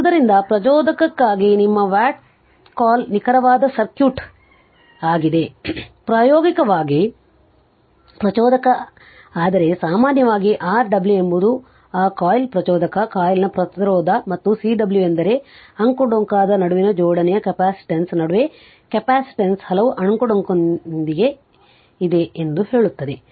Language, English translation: Kannada, So, it is the it is that your what you call exact circuit for an inductor right; practically inductor, but generally R w is the resistance of that coil inductive coil and Cw is that your capacitance in between that your coupling capacitance between the your what you call 2 winding say so many windings are there